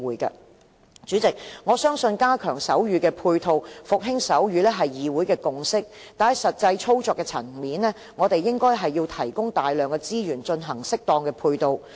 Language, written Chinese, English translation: Cantonese, 代理主席，我相信加強手語配套，復興手語是議會的共識。但是，在實際操作的層面，我們應該提供大量資源進行適當的配套。, Deputy President I believe revitalizing sign language and strengthening its support are a consensus in this Council but a substantial amount of resources should be provided when putting this consensus into practice